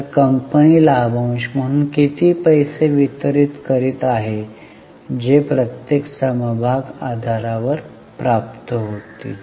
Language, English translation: Marathi, So, how much money is company distributing as a dividend which will be received on a per share basis